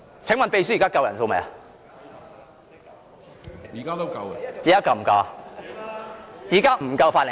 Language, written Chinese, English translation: Cantonese, 請問秘書，現在是否有足夠法定人數？, May I ask the Clerk if a quorum is present now?